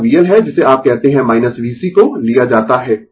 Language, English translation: Hindi, It is V L what you call minus V C is taken